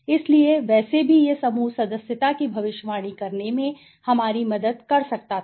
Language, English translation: Hindi, So, anyway this could it was helping us to predict group membership right